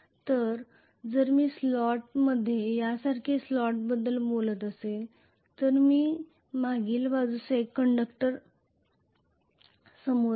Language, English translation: Marathi, So if I am going to talk about a slot like this in this slot I am going to have 1 conductor at the back 1 conductor at the front